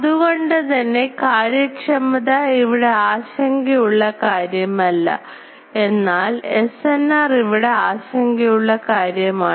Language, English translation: Malayalam, So, efficiency is not a concern there, but SNR is a concern